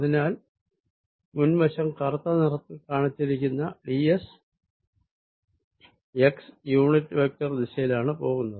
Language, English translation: Malayalam, so on the front surface shown by black, the d s is going to be in the direction of x unit vector